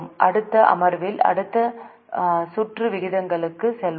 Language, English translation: Tamil, In the next session, we will go for next round of ratios